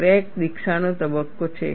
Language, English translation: Gujarati, There is a crack initiation phase